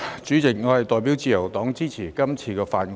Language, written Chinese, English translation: Cantonese, 主席，我代表自由黨支持通過《條例草案》。, President I support the passage of the Bill on behalf of the Liberal Party